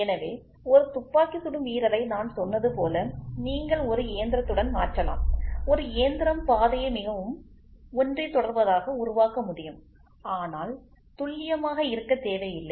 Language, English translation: Tamil, So, what I said a shooter you can replace it with a machine, a machine can produce path very precise, but need not be accurate